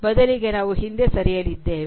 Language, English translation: Kannada, Rather we are going to move back